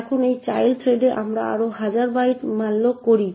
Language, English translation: Bengali, Now in this child thread we malloc another thousand bytes